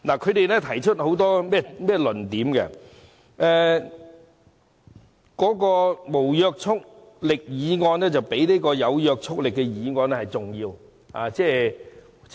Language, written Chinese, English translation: Cantonese, 他們提出了很多論點，指責政府把無約束力的議案看得比有約束力的議案重要。, They have raised various arguments accusing the Government of treating a non - binding motion more important than a binding motion